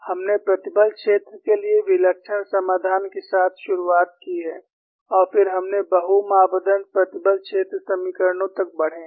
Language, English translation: Hindi, We have started with singular solution for the stress field; then we graduated to multi parameter stress field equations